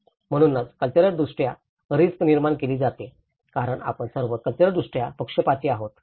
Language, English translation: Marathi, So that is where risk is cultural constructed because we are all culturally biased